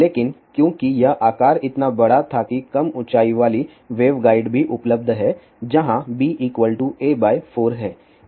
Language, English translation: Hindi, But because this size was so large there is a reduced height waveguide is also available where b was equal to a by 4